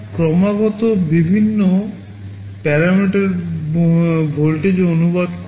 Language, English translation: Bengali, They are continuously varying parameters that can be translated to voltages